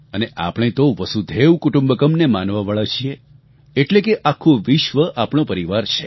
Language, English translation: Gujarati, And, we are believers in "Vasudhaiv Kutumbakam" which means the whole world is our family